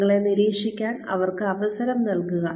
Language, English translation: Malayalam, Give them a chance to repeat, to watch you